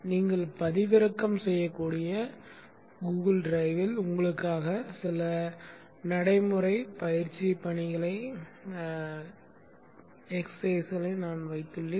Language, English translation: Tamil, I have also put few practical exercise tasks for you on the Google Drive which you can download